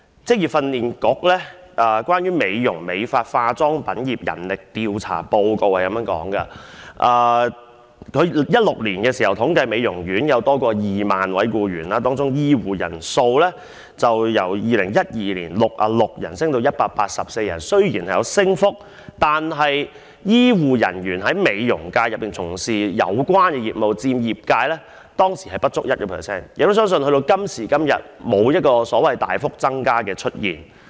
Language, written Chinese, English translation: Cantonese, 職業訓練局進行有關美容、美髮及化妝品業的人力調查報告顯示，在2016年，美容業界有超過 20,000 名僱員，當中醫護人員的人數由2012年的66人上升至184人，雖然有升幅，但從事有關業務的醫護人員佔當時的業界從業員人數不足 1%， 我亦相信至今也沒有大幅增加。, As stated in the Manpower Survey Report―Beauty Care Hairdressing and Cosmetics Industry released by the Vocational Training Council in 2016 there were over 20 000 employees in the beauty industry . Among them the number of health care personnel increased from 66 persons in 2012 to 184 . Despite the growth health care personnel engaging in the relevant business account for less than 1 % of the industry practitioners